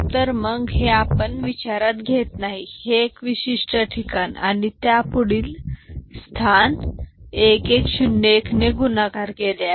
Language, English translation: Marathi, Then we shift it I mean this we do not consider, this particular place and the next position we have 1 multiplied with 1 1 0 1